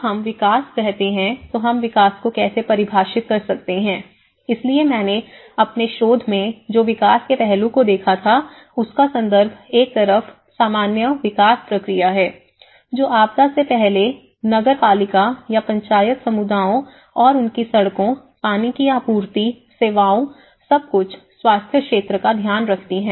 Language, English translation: Hindi, When we say development, how can we define the development, so in my research what I looked at the development aspect my context is on one side the usual development process, which is before the disaster also the Municipalities or the Panchayat keep taking care of their communities and their roads, water supplies, services everything, health sector